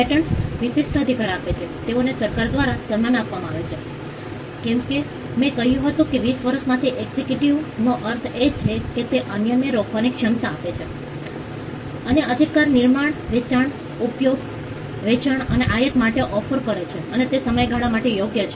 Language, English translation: Gujarati, Patents grant exclusive right, they are conferred by the government, as I said exclusivity means it gives the ability to stop others and the right pertains to making, selling, using, offering for sale and importing and the right exist for a time period which as I said is twenty years from the